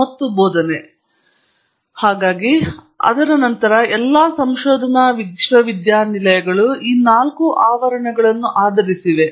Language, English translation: Kannada, And the ever since then all the research universities have been based on this four premises